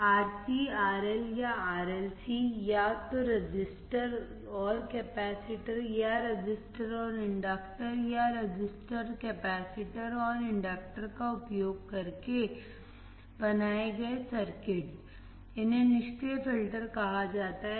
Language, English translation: Hindi, The circuits built using RC, RL, or RLC, either using the resistor and capacitor, or resistor and inductor, or resistor capacitor and an inductor then these are called the passive filters